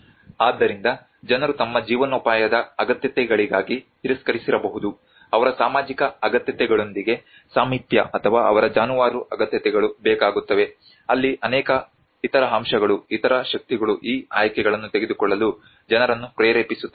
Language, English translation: Kannada, So that is where people may have rejected for their livelihood needs the proximity or their cattle needs with their social needs there are many other aspects there many other forces which make the people to take these choices